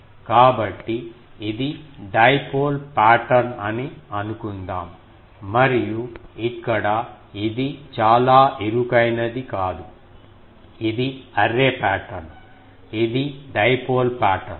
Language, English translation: Telugu, So, here you can say that the suppose this is the dipole pattern and here this is not very narrow, sorry this is array pattern, this is dipole pattern